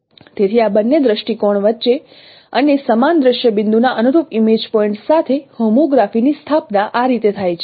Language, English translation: Gujarati, So this is how the homography is established between these two views and with their corresponding image points of the same scene point